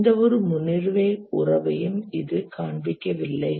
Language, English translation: Tamil, Neither does it show any precedence relationship